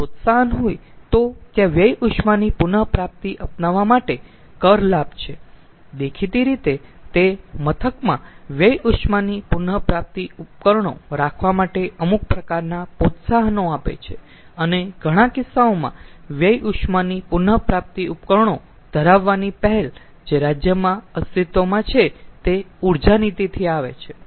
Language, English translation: Gujarati, so if there is incentive, if there is ah tax benefit for adopting waste heat recovery, so obviously it gives some sort of encouraged impetus for having waste heat recovery devices in the plant and in many cases the ah, the initiative for having the waste heat recovery devices, that comes from the energy policy which is existing in this state